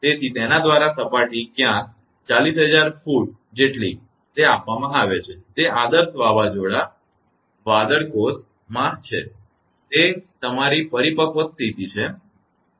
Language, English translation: Gujarati, So, surface through it is somewhere up to 40,000 feet it is given it is idealized thunderstorm cloud cell in it is your mature slate right